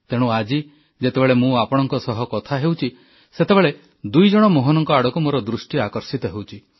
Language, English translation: Odia, And that's why today, as I converse with you, my attention is drawn towards two Mohans